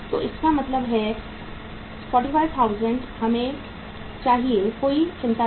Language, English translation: Hindi, So it means 45,000 we need not to worry